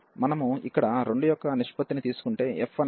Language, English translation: Telugu, If we take the ratio of the 2 here, so f was our integrand